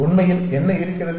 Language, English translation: Tamil, What is really out there